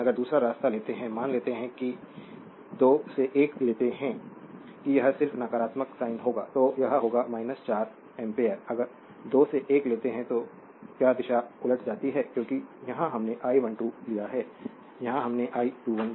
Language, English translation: Hindi, But if you take other way or suppose if you take 2 to 1 that it will just negative sine, it will be minus 4 ampere, if you take 2 to 1, just reversal of the your what you call the direction because here we have taken I 12 here we have taken I 21